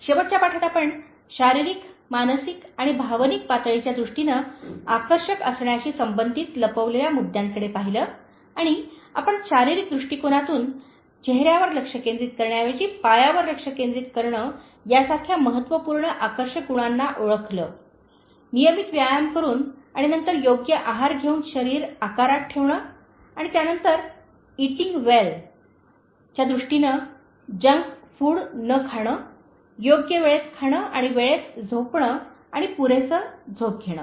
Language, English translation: Marathi, In the last lesson, we looked at the concealing issues related to being attractive in terms of physical, mental and emotional levels and we identified most important attractive qualities such as in terms of Physical level, Focusing on the Foot instead of focusing on the face, Keeping the Body in Shape by doing regular exercise and then by maintaining proper diet and then in terms of that Eating Well, which means eating rich food, not junk food and eating in proper time and Sleeping Well in time and Sleeping Sufficiently